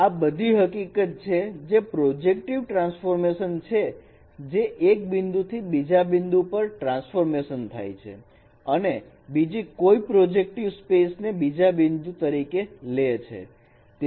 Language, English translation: Gujarati, Firstly, this property says that a projective transformation is a transformation of a point in a projective space to a point in another projective space